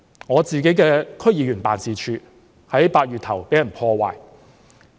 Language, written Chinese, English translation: Cantonese, 我的區議員辦事處在8月初某天被破壞。, My District Councillors office was damaged one day in early August